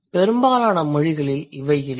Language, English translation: Tamil, Most of the languages do not have it